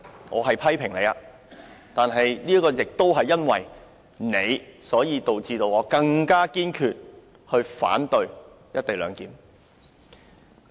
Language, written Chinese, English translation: Cantonese, 我是在批評你，但亦因為你，導致我更堅決反對"一地兩檢"。, I am criticizing you . It is also because of you that I am more determined to oppose the co - location arrangement